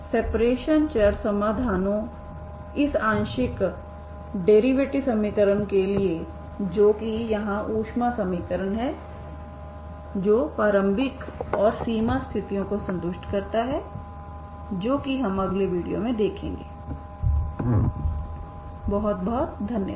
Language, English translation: Hindi, Separation of variable solutions for this partial differential equation that is the heat equation here that satisfies the initial and boundary conditions that is what we will see in the next video, okay thank you very much